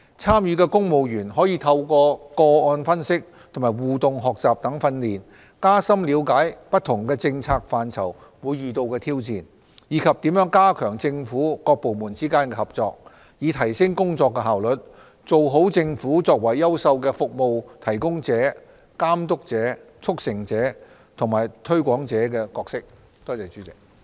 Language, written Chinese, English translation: Cantonese, 參與的公務員可透過個案分析和互動學習等訓練，加深了解不同政策範疇會遇到的挑戰，以及如何加強政府各部門之間的合作，以提升工作效率，做好政府作為優秀的服務提供者、監督者、促成者和推廣者的角色。, Through case analysis and interactive learning participating civil servants would gain more in - depth knowledge of the challenges in different policy areas and the ways to strengthen cooperation among various departments and would in turn enhance work efficiency and deliver outstanding performance in the Governments roles as a service provider regulator facilitator and promoter